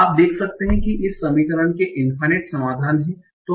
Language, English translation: Hindi, So you can see there are infinite solutions for this equation